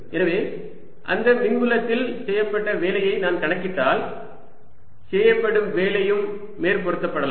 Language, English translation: Tamil, so if i calculate the work done in that electric field, that work done can also superimposed